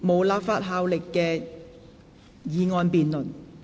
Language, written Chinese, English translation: Cantonese, 無立法效力的議案辯論。, Debates on motions with no legislative effect